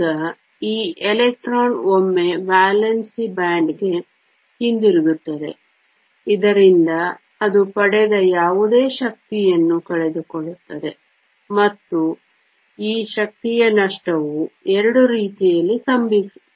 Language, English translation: Kannada, Now, this electron once to come back to the valence band, so that it losses whatever energy it is gained, and this energy loss can occur in 2 ways